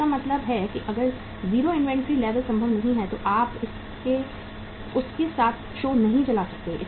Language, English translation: Hindi, So it means if 0 inventory level is not possible you cannot run the show with that